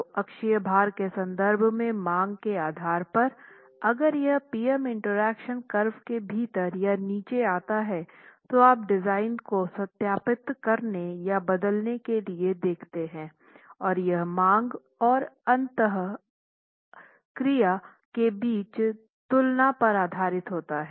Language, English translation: Hindi, So, depending on the demand in terms of the axle load and moment, if it were to be lying within or on the PM interaction curve, you look at verifying the design or altering the design based on the comparison between demand and the interaction curves itself